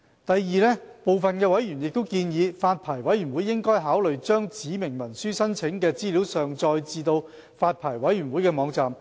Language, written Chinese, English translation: Cantonese, 第二，法案委員會部分委員建議，發牌委員會應考慮將指明文書申請的資料上載至發牌委員會的網站。, Second some members of the Bills Committee have suggested that the Licensing Board should consider uploading information on applications for specified instruments onto its website